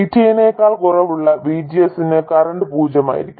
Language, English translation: Malayalam, For VGS less than VT, the current will be 0